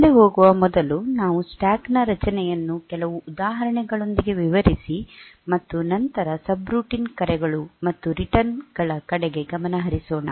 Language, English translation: Kannada, So, today before going further we will explain the stack structure a bit more, and with some examples and then go towards the subroutine and calls and returns